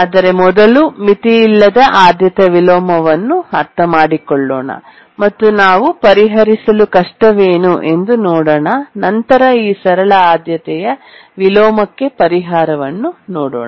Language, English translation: Kannada, Let's try to first understand unbounded priority inversion and then we'll see why it is difficult to solve and how can the simple priority inversion problem be solved